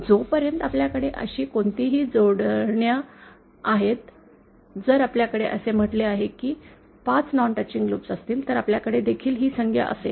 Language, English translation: Marathi, As long as we have any such combinations, if we say have 5 non touching loops, then we will have this term as well